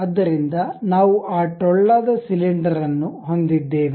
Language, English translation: Kannada, So, we have that hollow cylinder